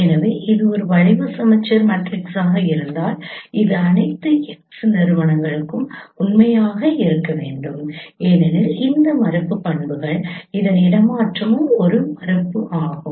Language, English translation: Tamil, So if it is a skew symmetric matrix it has to be true for all x because of that negation properties that transpose of this is a negation